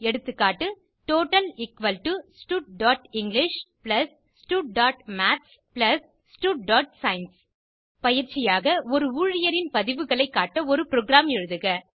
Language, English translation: Tamil, Eg: total = stud.english+ stud.maths + stud.science As an assignment, Write a program to diplay records of an employee